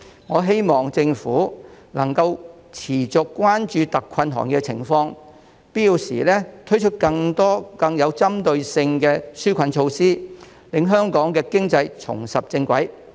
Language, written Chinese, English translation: Cantonese, 我希望政府能持續關注特困行業的情況，並於必要時推出更多更具針對性的紓困措施，讓香港經濟重拾正軌。, I hope the Government will keep caring about the situation of the trades in exceptional hardship and roll out more relief measures in a more targeted manner where necessary so that Hong Kong can get back on the right track